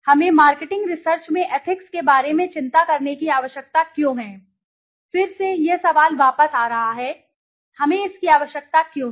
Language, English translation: Hindi, Why do we need to worry about ethics in marketing research, again this question is coming back, why we need to